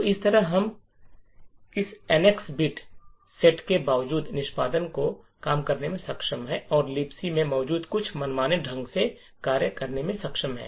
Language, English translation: Hindi, So, in this way we are able to subvert execution and in spite of the NX bit set we are able to execute some arbitrary function present in the LibC